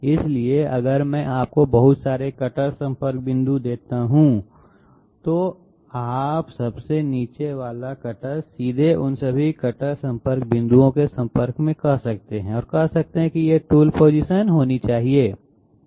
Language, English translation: Hindi, So if I give you a number of cutter contact points, you cannot straightaway put the say the lower most of the cutter in contact with all those cutter contact points and say that these must be the tool positions, no